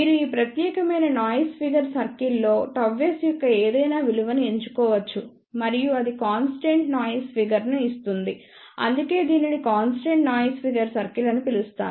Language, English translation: Telugu, You can choose any value of gamma s on this particular noise figure circle and that will give constant noise figure that is why it is known as constant noise figure circle